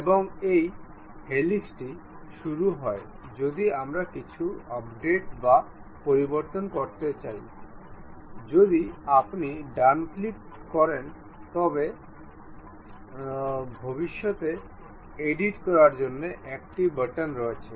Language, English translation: Bengali, And this helix begins if we would like to update or change anything if you give a right click there is a button to edit future